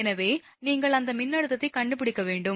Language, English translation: Tamil, So, you have to find that voltage